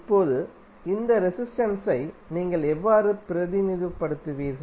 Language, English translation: Tamil, Now, how you will represent this resistance